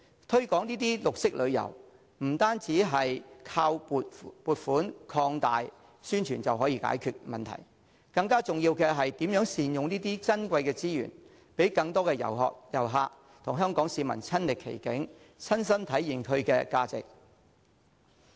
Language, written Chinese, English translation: Cantonese, 推廣綠色旅遊，不能單靠撥款擴大宣傳便能解決問題，更重要的是如何善用這些珍貴的資源，讓更多旅客親歷其境，親身體驗其價值。, To promote green tourism the Government cannot rely solely on increasing funding to strengthen publicity . More importantly it should make better use of our precious tourism resources and encourage more visitors to experience the value of these places